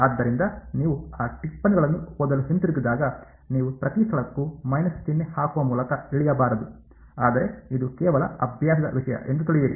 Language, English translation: Kannada, So, when you go back to reading those notes, you should not get off by minus sign each place ok, but just know that it just a matter of convention